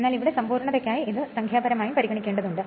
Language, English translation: Malayalam, But here for the sake of completeness we have to choose to we have to consider it for numerical also